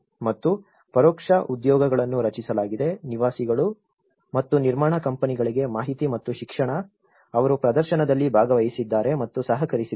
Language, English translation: Kannada, And indirect jobs have been created, information and education for residents and construction companies, which have participated and collaborated in exhibition